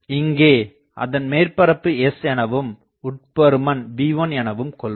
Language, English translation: Tamil, So, if we do that this is our surface S the inside is V1